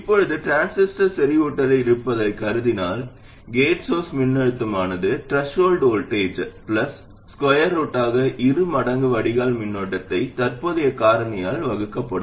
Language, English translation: Tamil, Now assuming that the transistor is in saturation, the gate source voltage would be the threshold voltage plus square root of two times the drain current divided by the current factor